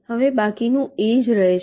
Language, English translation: Gujarati, now the rest remains same